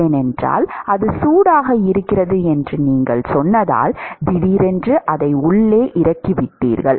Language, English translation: Tamil, Because you said that it is its heated and suddenly you have dropped it inside